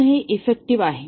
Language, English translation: Marathi, So, this is effective